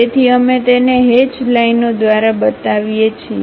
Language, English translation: Gujarati, So, we show it by hatched lines